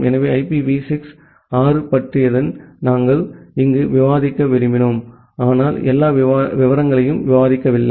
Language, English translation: Tamil, So, that is all about IPv6 that we wanted to discuss here, but I have not discussed all the details